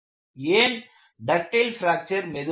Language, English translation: Tamil, And why a ductile fracture is relatively slow